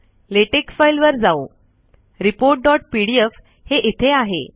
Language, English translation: Marathi, Lets go to latex file, so report dot pdf is there